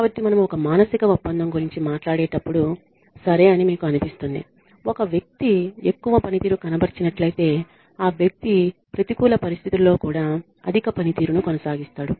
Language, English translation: Telugu, So, when we talk about a psychological contract we feel that okay, you know, if a person is a high performer then the person will continue to perform high well even in adverse conditions